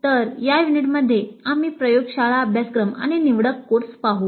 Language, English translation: Marathi, So in this unit we look at laboratory courses and elective courses